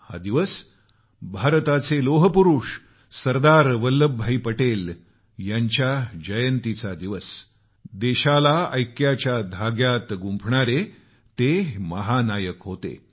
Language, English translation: Marathi, This day marks the birth anniversary of the Iron Man of India, Sardar Vallabhbhai Patel, the unifying force in bonding us as a Nation; our Hero